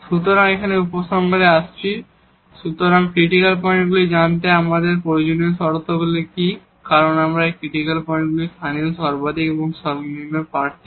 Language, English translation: Bengali, So, coming to the conclusion here, so what are the necessary conditions we need to know the critical points because, these critical points are the candidates for the local maximum and minimum